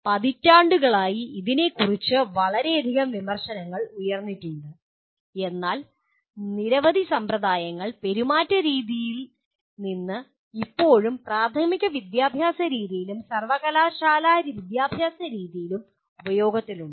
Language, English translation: Malayalam, There has been enormous amount of criticism of this over the decades but still there are many practices that have come from behaviorism which are still in use during both elementary to university type of education